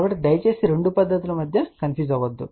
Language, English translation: Telugu, So, please do not get confused between the two techniques